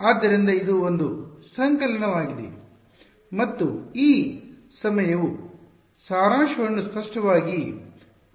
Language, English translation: Kannada, So, it is a summation and this time will explicitly open up the summation ok